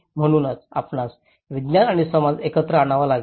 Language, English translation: Marathi, So you have to bring the science and society together